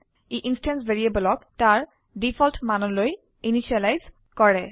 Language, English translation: Assamese, It initializes the instance variables to their default value